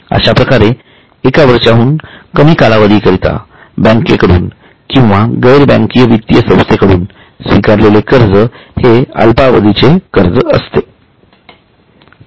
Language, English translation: Marathi, For that matter, any loan which is less than one year accepted from banks or NBFCs will be a short term borrowing